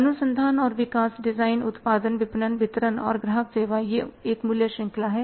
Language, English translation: Hindi, Research and development design, production, marketing, distribution, customer service, this is a value chain